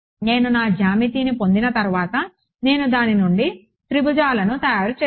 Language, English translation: Telugu, Once I have got my geometry, I have made triangles out of it